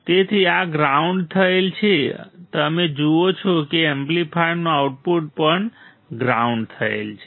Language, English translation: Gujarati, So, this is grounded you see amplifier is also grounded right output amplifier